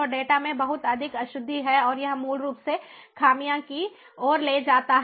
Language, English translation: Hindi, so there is lot of inaccuracy, uncertainty in the data and that basically leads to imperfections